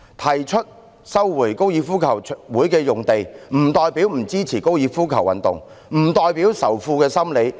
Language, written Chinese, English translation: Cantonese, 提出收回高爾夫球場用地，不代表不支持這種運動，不代表仇富心理。, Our proposal on resumption of the FGC site does not mean we do not support this sport . It does not mean hatred against the rich